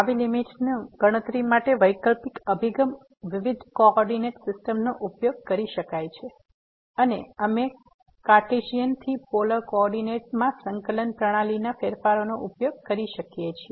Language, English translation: Gujarati, An alternative approach to compute such limit could be using a different coordinate system and we can use the change of coordinate system from Cartesian to Polar coordinates